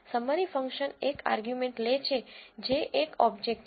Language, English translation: Gujarati, The summary function takes one argument which is an object